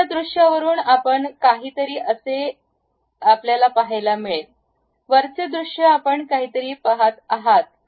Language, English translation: Marathi, From bottom view you are going to see something; top view you are going to see something